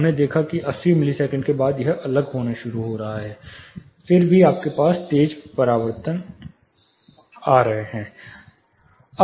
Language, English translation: Hindi, We saw it is starting to differ after 80 milliseconds still you have sharp reflections coming